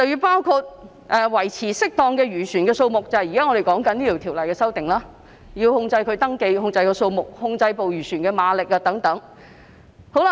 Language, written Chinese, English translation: Cantonese, 包括要維持適當的漁船數目，即現時《條例草案》提出的修訂，要控制漁船的登記、數目及馬力等。, It includes maintaining an appropriate number of fishing vessels that means the amendment proposed in the present Bill controlling the registration number horsepower etc . of fishing vessels